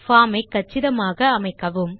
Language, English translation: Tamil, Make the form look compact